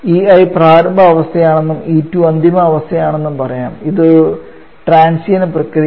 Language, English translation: Malayalam, Show let us say E1 is the initial state and it is a final state then if you this at the transition process